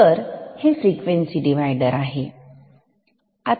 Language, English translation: Marathi, So, this is a frequency divider